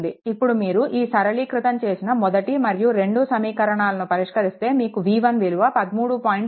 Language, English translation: Telugu, Now solve you what you call you solve equation 1 and equation 2 this 2 question, we solve you will get v 1 is equal to 13